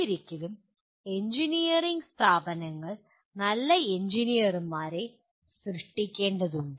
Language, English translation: Malayalam, After all engineering institutions are required to produce good engineers